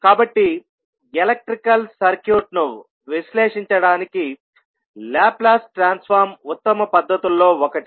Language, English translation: Telugu, So, the Laplace transform is considered to be one of the best technique for analyzing a electrical circuit